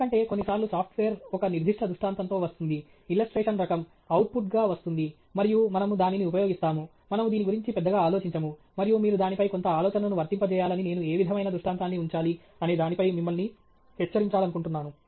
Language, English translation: Telugu, Because, sometimes, a software comes with a certain illustration type of illustration comes as an output and we simply use it; we don’t apply too much thought on it, and I would like to alert you that you should apply some thought on it on what kind of an illustration to put up